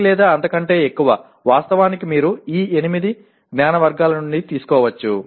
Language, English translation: Telugu, One or more actually you can take from the, these 8 knowledge categories